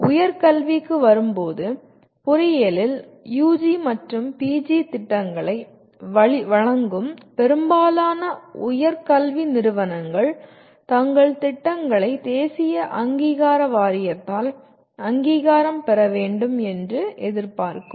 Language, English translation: Tamil, In coming to the specific higher education, most of higher education institutions offering UG and PG programs in engineering they would expect their programs to be accredited by the National Board of Accreditation